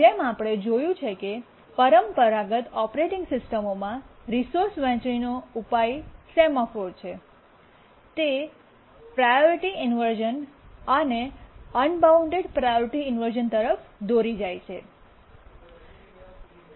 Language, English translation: Gujarati, And we have seen that the traditional operating system solution to resource sharing, which is the semaphores, leads to priority inversions and unbounded priority inversions